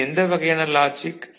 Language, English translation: Tamil, So, what kind of logic do we see